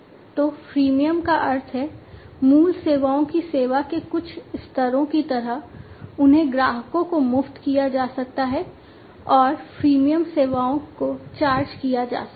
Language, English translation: Hindi, So, freemium means, like you know the certain levels of service the basic services, they can be made free to the customers and the premium services can be charged